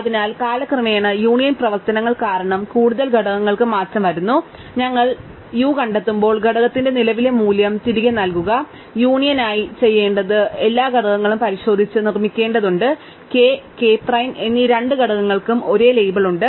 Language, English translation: Malayalam, So, over time the component that a node belongs to changes because of the union operations, so then when we find you, just return the current value of component you find and for union all we have to do is, we have to check and make all the components, both components k and k prime have the same label